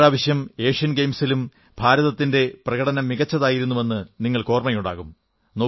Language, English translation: Malayalam, You may recall that even, in the recent Asian Games, India's performance was par excellence